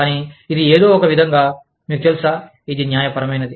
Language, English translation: Telugu, But, it is somehow, you know, it is almost judicial